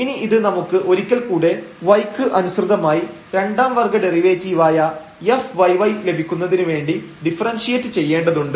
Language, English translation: Malayalam, So, we will get this term here and then we need to differentiate this once again with respect to y to get the f yy the second order derivative with respect to y